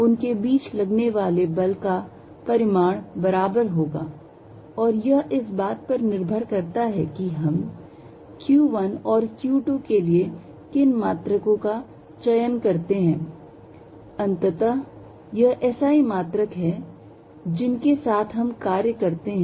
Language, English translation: Hindi, The force between them it is magnitude is going to be equal to and this depends on what units we are going to choose for q 1 and q 2 finally, it is the SI units that we work in